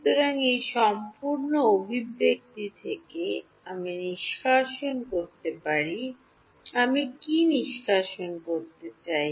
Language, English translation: Bengali, So, from this entire expression, I can extract, what do I want to extract